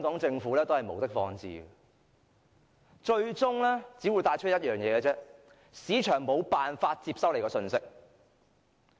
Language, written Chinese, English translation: Cantonese, 政府無的放矢，最終只有一個結果，就是市場無法接收到其信息。, The Government shoots at random and the only outcome is that the market cannot get the message